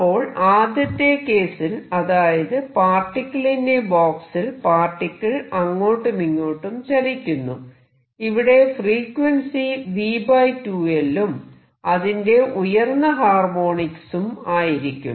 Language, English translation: Malayalam, So, in the first case where the particle is doing a particle in a box moving back and forth, the motion contains frequency v over 2L and its higher harmonics